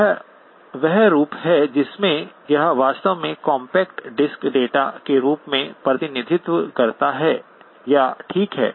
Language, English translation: Hindi, This is the form in which it truly represents or is in the form of compact disc data, okay